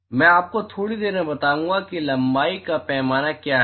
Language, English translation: Hindi, I will give you in a short while what is length scale